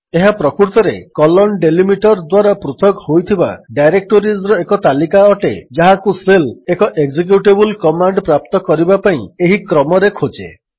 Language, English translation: Odia, It is actually a list of directories separated by the#160: delimiter, that the shell would search in this order for finding an executable command